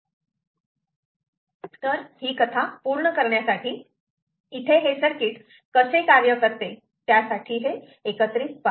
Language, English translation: Marathi, so just completing this story here, how did the circuit work